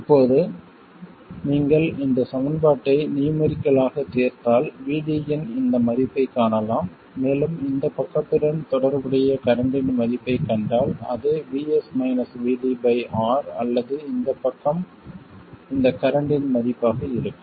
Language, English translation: Tamil, Now if you solve this equation numerically you would find this value of VD and if you find the value of the current corresponding to that that is Vs minus VD by R or this side it will be this value of current